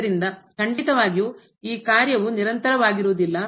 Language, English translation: Kannada, So, certainly this function is not continuous